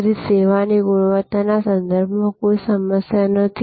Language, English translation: Gujarati, So, there is no problem with respect to the quality of service